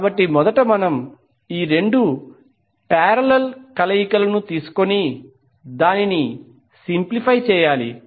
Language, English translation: Telugu, So first we have to take these two the parallel combinations and simplify it